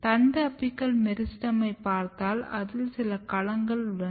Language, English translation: Tamil, If you look the shoot apical meristem there are certain domains